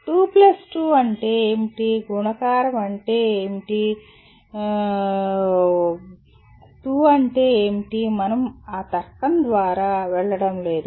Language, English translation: Telugu, What is 2 on 2, what is meant by multiplication, what is meant by 2, we are not going through that logic